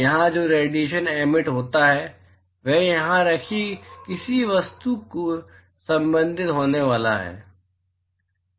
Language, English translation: Hindi, Radiation which is emitted here is going to be intercepted by an object placed here